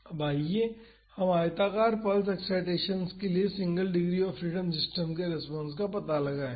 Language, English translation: Hindi, Now, let us find the response of a single degree of freedom system to rectangular pulse excitations